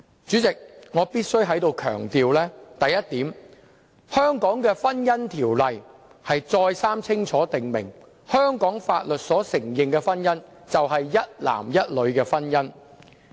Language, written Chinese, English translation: Cantonese, 主席，我必須強調一點，香港的《婚姻條例》清楚訂明，香港法律所承認的婚姻是一男一女的婚姻。, Chairman I must stress that the Marriage Ordinance of Hong Kong stipulates clearly that marriages recognized under the laws of Hong Kong means the union of one man with one woman